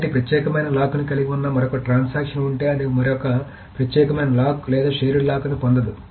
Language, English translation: Telugu, So if there is another transaction that holds an exclusive lock, it cannot get another exclusive lock or shared lock in it